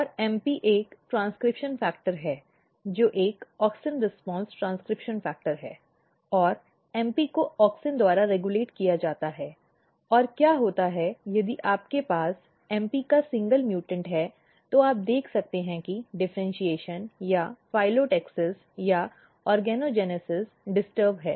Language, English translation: Hindi, And MP is a transcription factor which is a auxin response transcription factor which is regulated by the activity of; MP is regulated by auxin and what happens if you have single mutant of mp you can see that the differentiation or the phyllotaxis or the organogenesis is disturbed